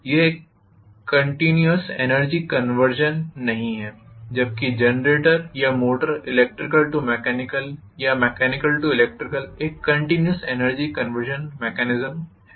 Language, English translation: Hindi, It is not a continuous energy conversion whereas generator or motor is a continuous energy conversion mechanism from electrical to mechanical or mechanical to electrical